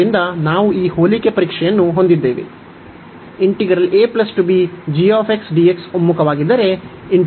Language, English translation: Kannada, So, this was the comparison test 2